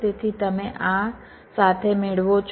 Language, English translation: Gujarati, so you get this with